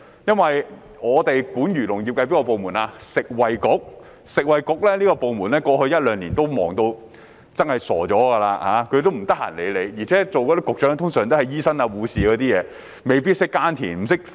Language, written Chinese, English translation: Cantonese, 負責漁農業的食物及衞生局在過去一兩年相當忙碌，完全無暇理會我們，加上出任局長的通常是醫生或護士，他們未必懂得耕作和農業科技。, The Food and Health Bureau FHB responsible for the agriculture and fisheries sector has been very busy over the past one to two years and does not have time to cater for our needs . Moreover as the Secretaries for Food and Health are usually doctors or nurses they may not have any knowledge about farming and agricultural technologies